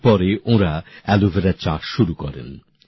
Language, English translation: Bengali, After this they started cultivating aloe vera